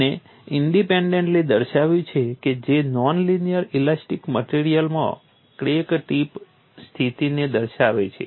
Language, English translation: Gujarati, They have independently showed that J characterizes crack tip condition in a non linear elastic material